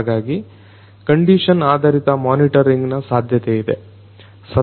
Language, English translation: Kannada, So, condition based monitoring is going to be possible